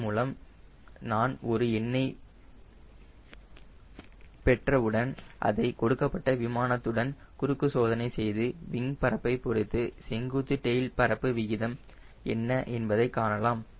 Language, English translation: Tamil, once i get this number by this then we cross check for a given aeroplane, what is the vertical tail area ratio with respect to to the wing area, that is, what is the ratio of vertical tail to wing area